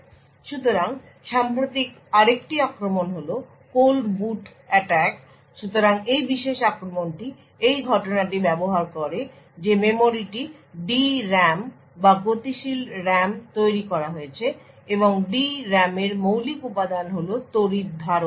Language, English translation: Bengali, So, another recent attack is the Cold Boot Attack, So, this particular attack use the fact that the memory is made out D RAM or the dynamic RAM and the fundamental component in the D RAM is the capacitor